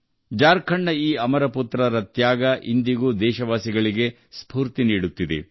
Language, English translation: Kannada, The supreme sacrifice of these immortal sons of the land of Jharkhand inspires the countrymen even today